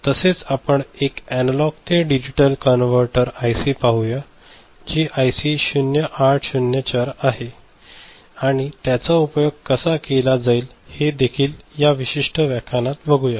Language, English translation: Marathi, And also we shall look at one IC analog to digital converter IC 0804 ok, and how it is used so that also we shall see in this particular lecture